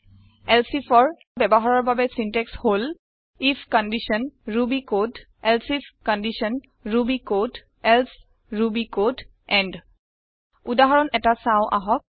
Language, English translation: Assamese, The syntax for using elsif is: if condition ruby code elsif condition ruby code else ruby code end Let us look at an example